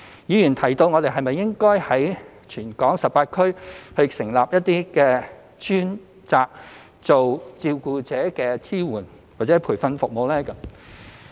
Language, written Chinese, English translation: Cantonese, 議員提到是否應該在全港18區成立一些專責照顧者支援或培訓服務的中心。, Members have suggested the setting up of a designated centre in each of the 18 districts in Hong Kong to provide carers with support or training services